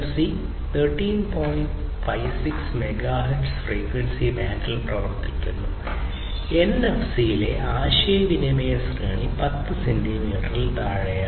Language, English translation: Malayalam, 56 megahertz frequency band, and the range of communication in NFC is less than 10 centimeters